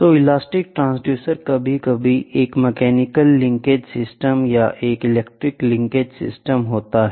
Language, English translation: Hindi, So, elastic transducer sometimes, a mechanical linkage system or a mechanical linkage system